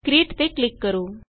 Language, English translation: Punjabi, Click on the Create button